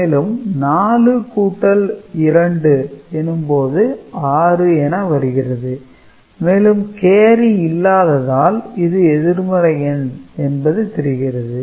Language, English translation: Tamil, So, 4 plus 2 is 6 and carry is absent means result is negative understood